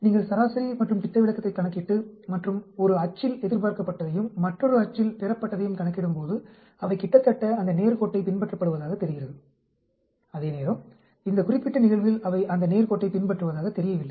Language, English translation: Tamil, So, when you calculate mean and a standard deviation and plot what is expected on one axis and what is observed on another axis they seem to follow almost on that straight line, where as in this particular case they do not seem to follow, fall on that straight line